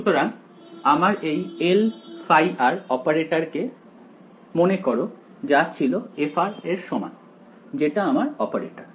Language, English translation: Bengali, So, remember my operator was L phi of r is equal to f of r that was my operator equation right